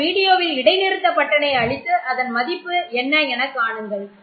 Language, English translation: Tamil, So you can press the pause button on your video and think about what the values could be